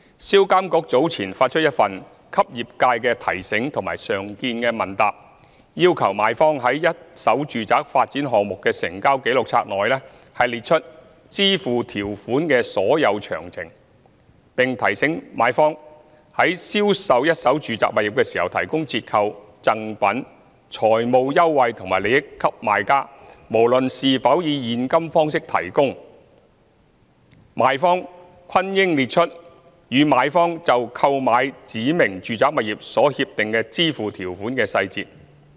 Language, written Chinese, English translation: Cantonese, 銷監局早前發出一份"給業界的提醒"和常見問答，要求賣方在一手住宅發展項目的成交紀錄冊內列出支付條款的所有詳情，並提醒賣方，如果在銷售一手住宅物業時提供折扣、贈品、財務優惠或利益給買家，無論是否以現金方式提供，賣方均應列出與買方就購買指明住宅物業所協定的支付條款的細節。, SRPA has earlier issued a Reminder to the Trade and a Frequently Asked Question and Answer requiring vendors to set out full details of the terms of payment in the Registers of Transactions of first - hand residential developments and has reminded vendors that in the sales of first - hand residential properties if they have offered any discount gift financial advantage or benefit to purchasers they should set out the full details of the terms of payment as agreed between the vendor and the purchaser for each specified residential property